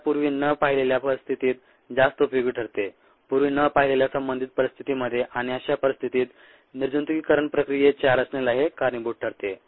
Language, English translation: Marathi, it makes it a lot more useful in situations that has not been seen earlier relevant situation that have not been seen earlier, and thereby it leads to design of a sterilization processes